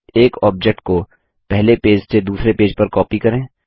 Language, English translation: Hindi, Copy an object from page one to page two